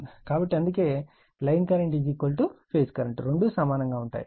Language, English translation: Telugu, So, that is why this line current is equal to your phase current both are same right